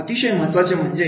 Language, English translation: Marathi, So, what is important